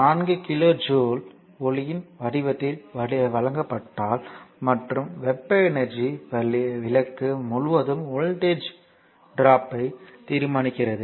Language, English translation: Tamil, If 4 kilo joule is given off in the form of light and the and heat energy determine the voltage drop across the lamp